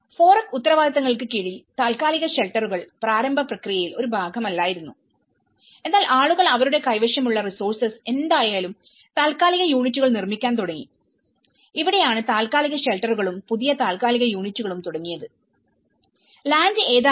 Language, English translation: Malayalam, And under the FOREC responsibilities, temporary shelters was not been a part in the initial process but then, people have started building their temporary units whatever the resources they had so, this is where the temporary shelters and building new temporary units have already started, in whatever the lands they are not available